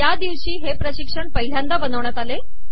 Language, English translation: Marathi, This is the date on which this tutorial was created the first time